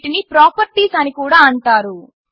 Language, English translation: Telugu, These are also called properties